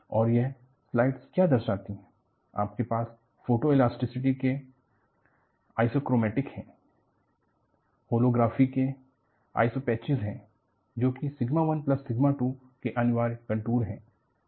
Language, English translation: Hindi, And, what this slide show is, you have the Isochromatics from Photoelasticity, you have Isopachics from Holography, which are essentially contours of sigma 1 plus sigma 2